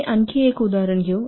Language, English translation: Marathi, We'll take one more example quickly